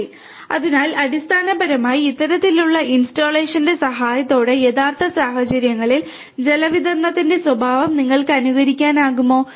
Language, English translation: Malayalam, Alright and so, basically with the help of this kind of installation, you are able to emulate the behavior of water distribution in a reals real kind of environment